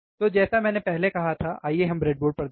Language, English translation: Hindi, So, let us see on the breadboard like I said little bit while ago